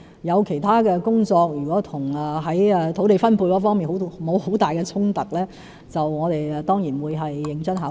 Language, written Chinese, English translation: Cantonese, 如果其他工作與土地分配沒有太大衝突，我們當然會認真考慮。, If other tasks do not conflict with the distribution of land we will certainly give them serious consideration